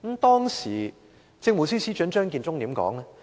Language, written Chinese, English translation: Cantonese, 當時政務司司長張建宗怎樣回應？, What was the reaction of the then Chief Secretary for Administration Matthew CHEUNG?